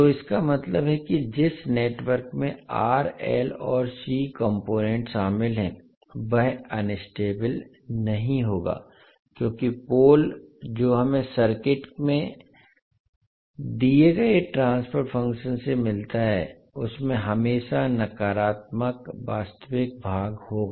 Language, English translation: Hindi, So that means that, in the network which contains R, L and C component will not be unstable because the pole which we get from the given transfer function of circuit will have always negative real part